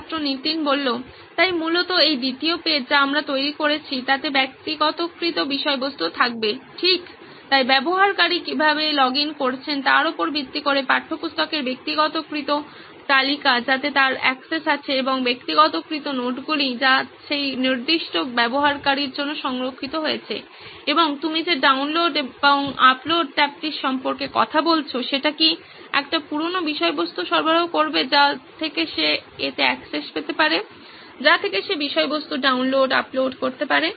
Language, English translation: Bengali, So basically this second page that we have built would be personalised content right, so based on how the user has logged in it would be personalised list of textbooks that he has access to and personalised notes that has been maintained for that particular user and the download and upload tab that you are talking about would provide a old stuff content that from which he can have access to it, from which he can download, upload content